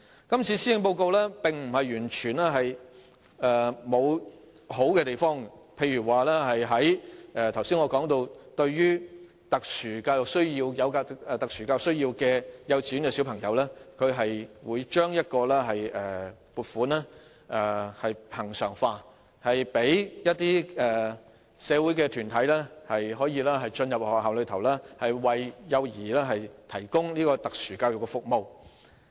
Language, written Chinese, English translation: Cantonese, 今次的施政報告並非完全沒有優點，例如針對我剛才所說的有特殊教育需要的幼稚園學童，當局會把撥款恆常化，讓一些社會團體進入學校，為幼兒提供特殊教育服務。, This Policy Address is not entirely without merits . For example for the SEN children in kindergartens mentioned by me just now funding will be regularized to enable community organizations to go into the schools to provide children with special education services